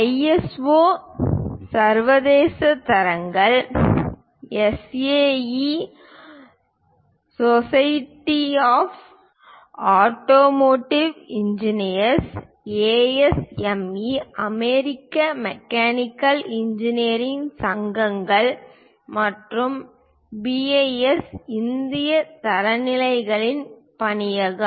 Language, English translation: Tamil, ISO is International Standards, SAE is Society of Automotive Engineers, ASME is American Mechanical engineering associations and BIS is Bureau of Indian Standards